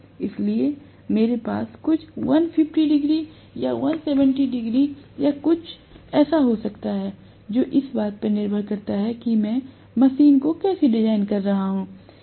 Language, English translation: Hindi, So, I may have this at some 150 degrees or 170 degrees or something like that, depending upon how I am designing the machine